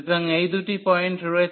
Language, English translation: Bengali, So, these are the two points